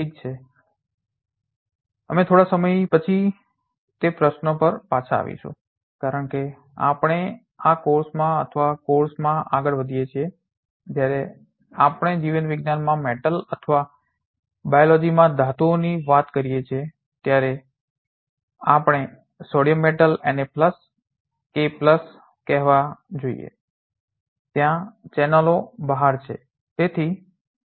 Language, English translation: Gujarati, Well we will come back to those queries little later as we go along in this course or of course, when we talk metal in biology or metals in biology we must be thinking about let us say sodium metal Na+ K+ there are channels right